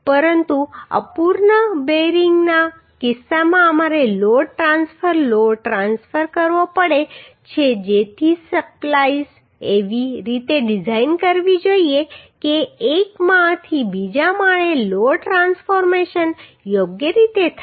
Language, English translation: Gujarati, But in case of incomplete bearing we have to transfer the load transfer the load Uhh Uhh so the splice has to be designed in such a way the load transformation from one storey to another storey are done properly